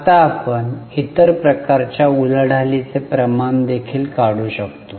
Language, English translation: Marathi, Now we can also calculate other type of turnover ratios